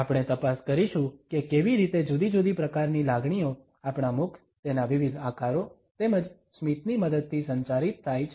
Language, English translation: Gujarati, We would check how different type of emotions are communicated with the help of our mouth, different shapes of it, as well as smiles